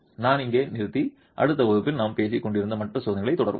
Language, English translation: Tamil, I'll stop here and continue with the other tests that we were talking about in the next class